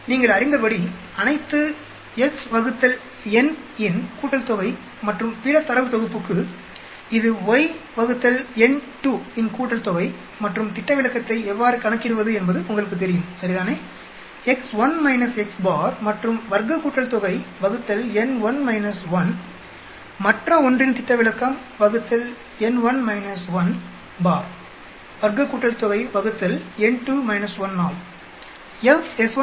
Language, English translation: Tamil, So, x bar will be as you know summation of all the x is divided by n and for other data set it will be summation of y by n2 and you know how to calculate the standard deviation right, x 1 minus x bar and square summation divided by n1 minus 1, standard deviation of the other 1 y 1 minus y bar square summation divided by n2 minus 1